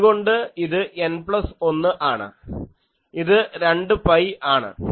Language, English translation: Malayalam, So, it is N plus 1, so it is 2 pi